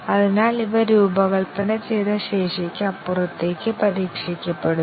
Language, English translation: Malayalam, So, these are tested beyond the designed capability